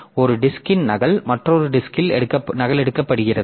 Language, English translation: Tamil, So, we copy of a disk is duplicated on another disk